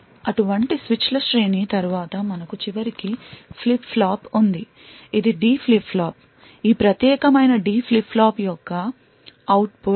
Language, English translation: Telugu, After a series of such switches we eventually have a flip flop, this is a D flip flop, this particular D flip flop gives an output of 1 or 0